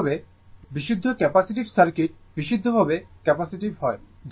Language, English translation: Bengali, Similarly, similarly, purely capacitive circuit right, purely capacitive